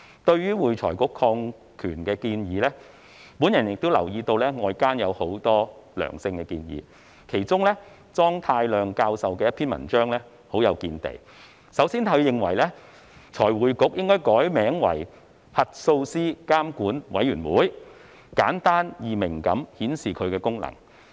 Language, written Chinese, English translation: Cantonese, 對於會財局擴權的建議，我亦留意到外間有很多良性建議，當中莊太量教授的—篇文章很有見地，首先，他認為財匯局應該改名為"核數師監管委員會"，簡單易明地顯示其功能。, Regarding the proposed expansion of AFRCs powers I have also noted many good suggestions outside . Among them an article written by Prof Terence CHONG is very insightful . Firstly he opines that FRC should be renamed as Auditors Regulatory Committee to indicate its functions in a simple and straightforward manner